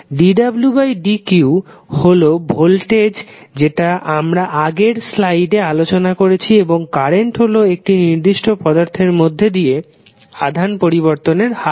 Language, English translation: Bengali, dw by dq is nothing but the voltage which we discussed in the previous class previous slides and I is nothing but rate of change of charge passing through a particular element